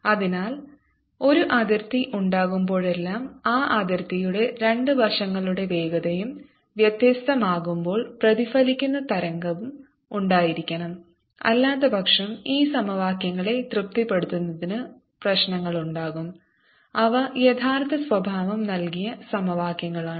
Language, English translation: Malayalam, so whenever there is a boundary so that the speeds of the two sides of that boundary are different, there has to be a reflected wave also, otherwise arise into problems of satisfying these equations, which are true nature, given equations